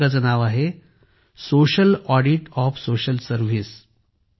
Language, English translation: Marathi, The name of the book is Social Audit of Social Service